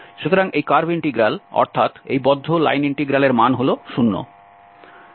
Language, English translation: Bengali, So this curve integral this closed line integral is 0